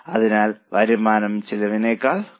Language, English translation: Malayalam, So, the revenue is more than the cost